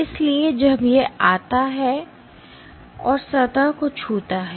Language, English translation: Hindi, So, when it comes and touches the surface